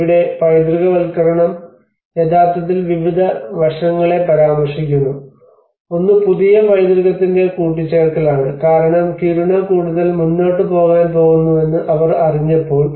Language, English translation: Malayalam, And here the heritagisation have actually referred to various aspects; one is the addition of new heritage because when they came to know that yes the Kiruna is going to move further